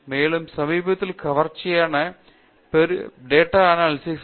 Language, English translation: Tamil, And, recently a very catchy what is coming up is large data analysis